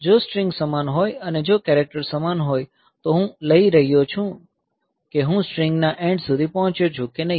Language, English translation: Gujarati, If the strings are same, if the characters are same then I am taking whether I have reached the end of the string or not